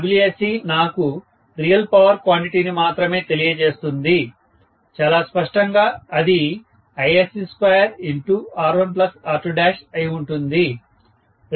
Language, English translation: Telugu, Wsc will give me only the real power quantity, which will be very clearly Isc square multiplied by R1 plus R2 dash